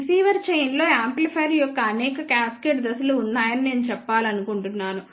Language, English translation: Telugu, I just want to mention that in a receiver chain there are several cascaded stages of the amplifier